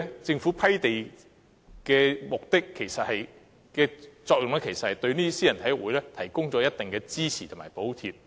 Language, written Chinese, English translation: Cantonese, 政府批地的作用，其實是對私人體育會提供一定的支持及補貼。, The Governments land grant actually serves the function of providing certain support and subsidies to private sports clubs